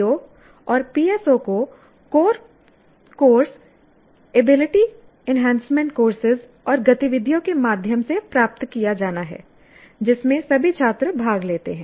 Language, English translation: Hindi, O's and PSOs are to be attained through core courses, ability enhancement courses and activities in which all students participate